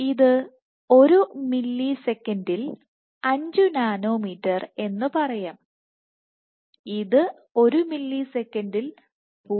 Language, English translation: Malayalam, 5 nanometer per millisecond and this is 0